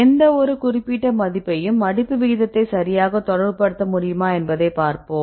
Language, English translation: Tamil, So, let us see whether any specific property right can relate the folding rate right